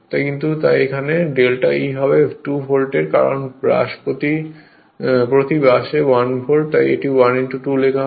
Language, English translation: Bengali, So, but delta E will be 2 volt because, per brush 1 volt that is why, it is written 1 into 2